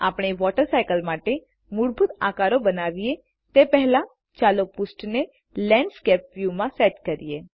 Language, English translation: Gujarati, Before we draw the basic shapes for the water cycle diagram, let us set the page to Landscape view